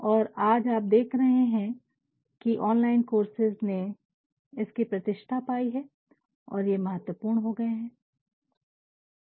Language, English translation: Hindi, And, today you see that the online courses have gained their importance and they have become very significant